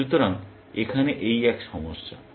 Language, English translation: Bengali, So, this is the same problem here